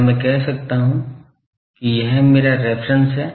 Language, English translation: Hindi, Can I say that, this is, this is my reference